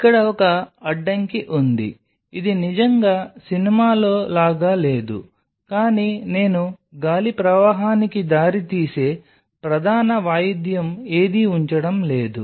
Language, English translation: Telugu, So, there is a blockage here it is it is not really like in a movie, but I am not putting any of the major piece of instrument which will come on the way of the air current